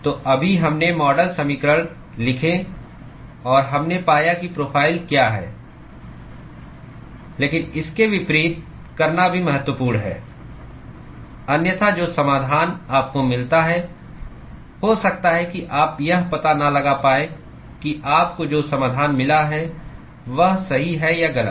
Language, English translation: Hindi, So, right now, we wrote the model equations and we found out what the profile is, but it is also important to do vice versa, otherwise the solution that you get, you may not be able to figure out whether the solution you got is right or wrong